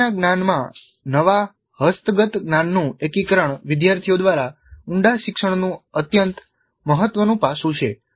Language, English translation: Gujarati, So the integration of the newly acquired knowledge into the existing knowledge is an extremely important aspect of deep learning by the students